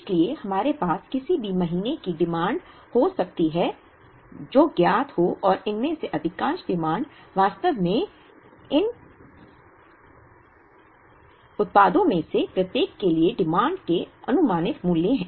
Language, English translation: Hindi, So, we could have any number of months of demand that is known and most of the times these demands are actually forecasted values of the demand for each of these products